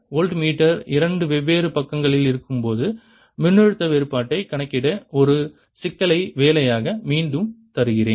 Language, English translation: Tamil, i'll again give you an assignment problem in this to calculate the potential difference when the voltmeter is on the two different sides